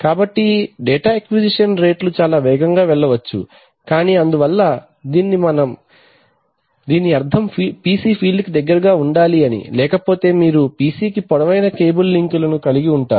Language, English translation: Telugu, So the data acquisition rates can go much faster but because it, but this means that the PC has to go close to the field otherwise you are going to have long cable links to the PC, right